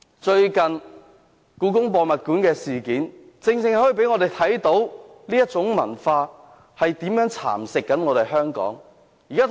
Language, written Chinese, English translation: Cantonese, 最近的故宮博物館事件，讓我們看到這種文化如何蠶食香港。, The recent Hong Kong Palace Museum has enabled us to see how such a political culture has eroded Hong Kong